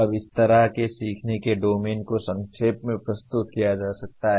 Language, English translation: Hindi, Now this is how the domains of learning can be summarized